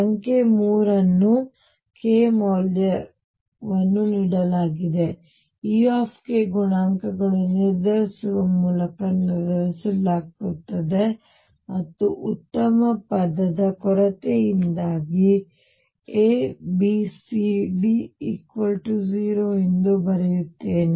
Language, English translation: Kannada, Number 3 given a k value E k is determined by making the determinant of coefficients for and for the lack of better word I will just write A B C D equal to 0